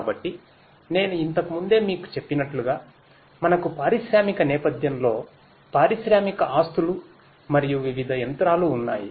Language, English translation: Telugu, So, as I was telling you earlier we have in an industrial setting we have industrial assets and different machinery